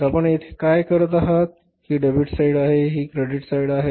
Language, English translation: Marathi, So, what you do here is this is the debit site and this is the credit site, right